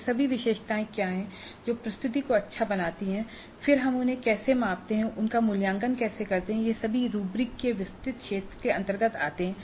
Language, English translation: Hindi, Now what are all those attributes which make the presentation good and then how do we measure those, how do we evaluate those things, they all come and the broad and a half rubrics